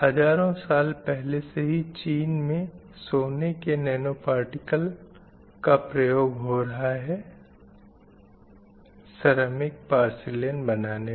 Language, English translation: Hindi, So, the thousand years ago, Chinese have used gold nanoparticles to introduce red color in their ceramic porcelains